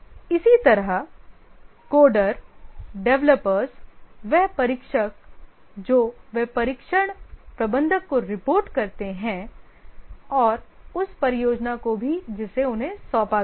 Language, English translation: Hindi, Similarly, the coders, the developers, the testers, they report to the test manager and also to the project to which they have been assigned